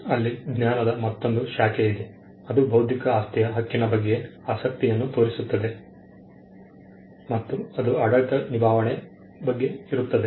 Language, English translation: Kannada, There is another branch of knowledge, which also shows some interest on intellectual property right which is the management